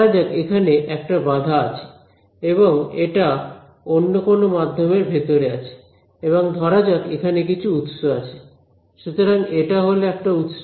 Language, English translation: Bengali, So, let us say that there is one obstacle over here and it is inside another medium let us call this thing over here and let us say that there are some sources over here ok, so let us call this is a source